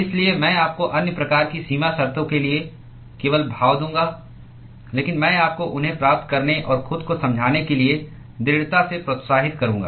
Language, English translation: Hindi, So, I will just give you the expressions for the other type of boundary conditions, but I would strongly encourage you to derive them and convince yourself